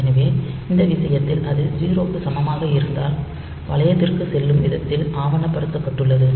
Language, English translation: Tamil, So, in this case it is documented also that way that if a equal to 0 go to loop